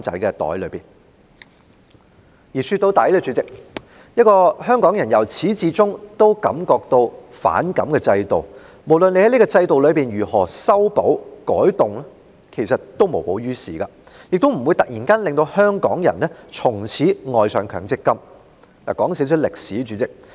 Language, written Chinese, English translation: Cantonese, 主席，說到底，香港人由始至終都對強積金制度感到不滿，無論政府如何修補和改動，其實也無補於事，亦不會突然間令香港人從此愛上強積金計劃。, President after all Hong Kong people have all along been dissatisfied with the MPF System and whatever remedies or changes made by the Government are futile and will not make Hong Kong people change overnight and embrace the MPF System